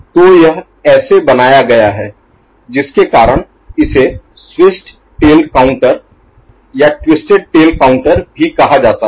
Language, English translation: Hindi, So, this is the making of it because of which it is also called switched tail counter or twisted tail counter, right